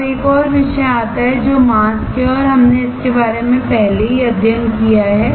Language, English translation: Hindi, Now, comes another topic which is mask and we have already studied about it